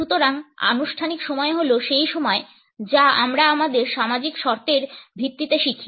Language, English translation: Bengali, So, formal time is the time which we learn on the basis of our social conditioning